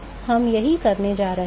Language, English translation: Hindi, So, that is what we are going to do now